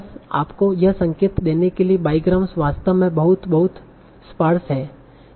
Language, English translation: Hindi, Just to give you an indication that biograms are actually very, very sparse